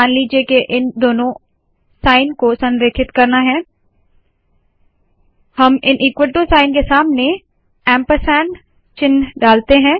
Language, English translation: Hindi, Suppose we want to align these two signs, we put an ampersand symbol in front of the equal to signs here